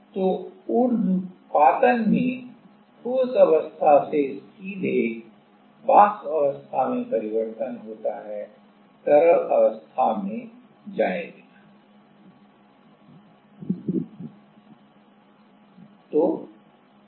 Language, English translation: Hindi, So, sublimation happens from solid phase to vapor phase directly, without going to the liquid ok